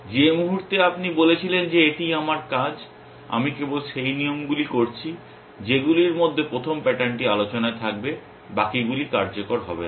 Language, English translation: Bengali, The moment you said this is my task I am doing only those rules which have that as the first pattern will be in contention the rest will not come into play